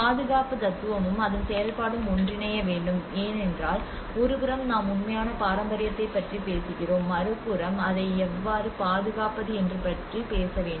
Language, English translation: Tamil, And conservation philosophy and execution should ideally converge because on one side we are talking about the authentic heritage on the other side we have to talk about how to protect it or so they has to really come together